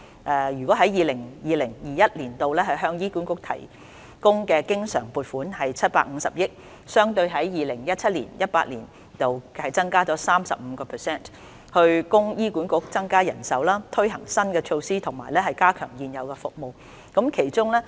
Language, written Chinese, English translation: Cantonese, 在 2020-2021 年度，政府向醫管局提供的經常撥款為750億元，相對 2017-2018 年度增加 35%， 以供醫管局增加人手、推行新的措施及加強現有服務。, In 2020 - 2021 the Government will allocate a recurrent funding of 75 billion which represents an increase of 35 % over the funding in 2017 - 2018 for HA to increase its manpower introduce new measures and strengthen its existing services